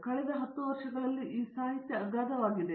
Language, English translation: Kannada, This literature in the last 10 years is enormous